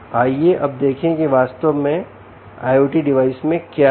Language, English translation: Hindi, let us now see what an i o t device actually contains